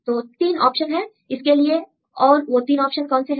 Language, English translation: Hindi, So, 3 options for this one what are 3 options